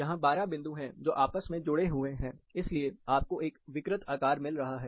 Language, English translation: Hindi, There are twelve points, which are connected, that is why you are getting a distorted shape